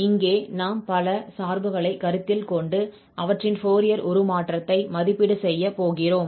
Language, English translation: Tamil, So here, we will consider several functions and evaluate their Fourier Transform